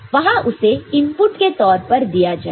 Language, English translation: Hindi, So, there it will be given as input is it clear